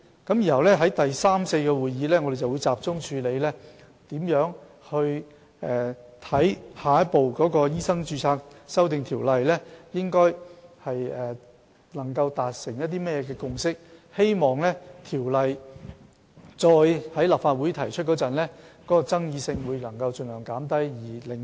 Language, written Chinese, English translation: Cantonese, 然後在第三次和第四次會議上，我們會集中處理如何在下一步就修訂《醫生註冊條例》達成甚麼共識，希望條例草案再次提交立法會時，能盡量減少爭議，盡快獲得通過，以改善醫委會的運作。, After that at the third and fourth meetings we will focus on the next step about how to reach a consensus on amending MRO and what the consensus should be in the hope of minimizing disputes and enabling the Bill to be passed expeditiously when it is re - introduced to the Legislative Council with a view to improving the operation of MCHK